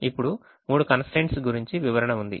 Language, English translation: Telugu, now there is a description about the three constraints